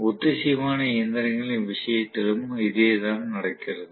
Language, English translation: Tamil, The same thing happens in the case of synchronous machine as well